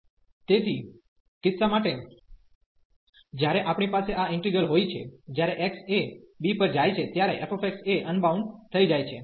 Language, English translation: Gujarati, So, for the case when we have this integral, where f x becomes unbounded as x goes to b